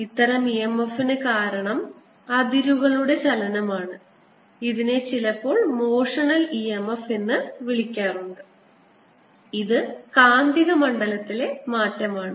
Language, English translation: Malayalam, whatever e m f comes is sometimes referred to as motional e m f and this is due to the change in magnetic field